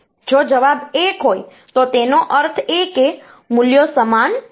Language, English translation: Gujarati, If the answer is 1, that means the values are not same